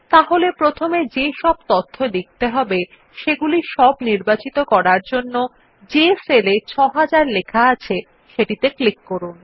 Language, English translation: Bengali, Then first select all the data which needs to be copied by clicking on the cell which contains the entry, 6000